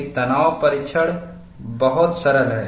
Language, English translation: Hindi, A tension test is very simple